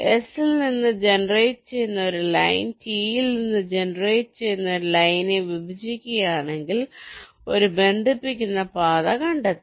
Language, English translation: Malayalam, ah, if a line generated from s intersects a line generated from t, then a connecting path is found